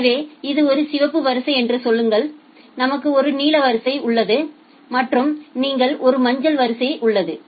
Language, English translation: Tamil, So, say this is a red queue, I have a blue queue and I have a say yellow queue